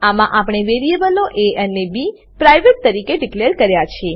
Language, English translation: Gujarati, In this we have declared variables a and b as private